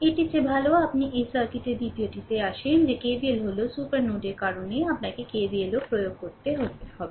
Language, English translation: Bengali, This ah better you come to this circuit second 1 is that you have to apply KVL also in the ah because of supernode that KVL is also